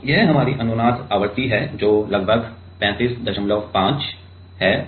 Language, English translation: Hindi, This is our resonance frequency that is about 35